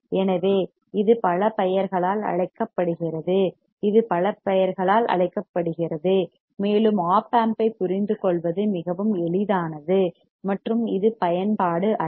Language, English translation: Tamil, So, it is called by many names, it is called by many names very easy to understand op amps and it is application is it not